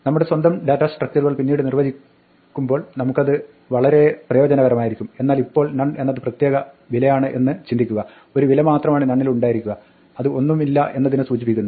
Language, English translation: Malayalam, We will find great use for it later on when we are defining our own data structures, but right now just think of none as a special value, there is only one value in none and it denotes nothing